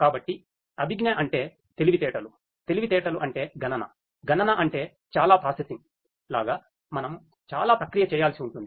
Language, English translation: Telugu, So, cognitive means intelligence, intelligence means computation, computation means you know computation means like you know lot of processing we will have to be done right lot of processing